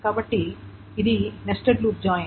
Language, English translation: Telugu, So this is the nested loop join